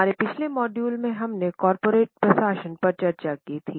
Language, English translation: Hindi, Namaste In our last module we had discussed corporate governance